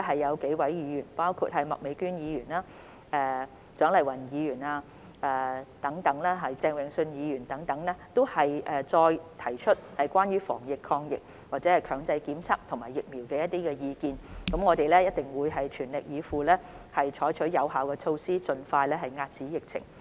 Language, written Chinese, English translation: Cantonese, 有數位議員，包括麥美娟議員、蔣麗芸議員和鄭泳舜議員等，均在這一節中再次提出關於防疫抗疫、強制檢測和疫苗的意見，我們一定會全力以赴，採取有效措施，盡快遏止疫情。, Several Members including Ms Alice MAK Dr CHIANG Lai - wan and Mr Vincent CHENG have raised their views again in this session on anti - epidemic work compulsory testing and vaccination . We will definitely go all out to adopt effective measures to contain the epidemic as soon as possible